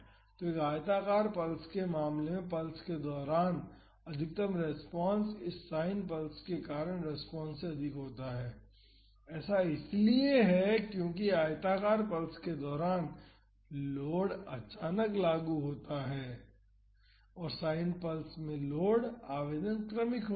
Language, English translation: Hindi, So, in the case of a rectangular pulse the maximum response during the pulse is higher than the response due to this sine pulse, that is because during the rectangular pulse the load is suddenly applied here the load application is gradual